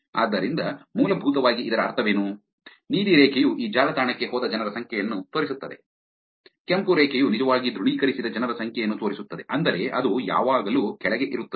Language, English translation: Kannada, So, you essentially what does it mean, blue line is showing you that number of people who went to this website, red line is showing the number of people who actually authenticated which means it'll always be below